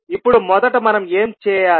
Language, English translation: Telugu, Now, what we have to do first